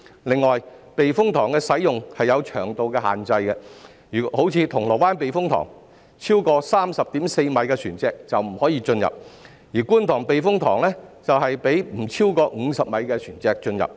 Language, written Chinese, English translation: Cantonese, 另外，避風塘的使用有長度的限制，如銅鑼灣避風塘，超過 30.4 米的船隻就不可以進入，而觀塘避風塘則讓不超過50米的船隻進入。, For instance vessels longer than 30.4 m are not allowed to enter the Causeway Bay Typhoon Shelter whereas the Kwun Tong Typhoon Shelter only allows vessels under 50 m in length to enter